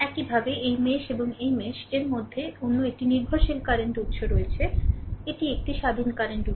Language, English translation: Bengali, Similarly, between these mesh and these mesh, another dependent current source is there, this is independent current source this is